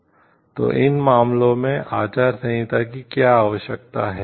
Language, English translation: Hindi, So, what are the codes of conduct needs to be defined in these cases